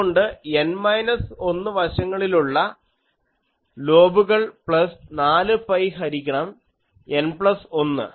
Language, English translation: Malayalam, So, N minus 1 side lobes plus 4 pi by N plus 1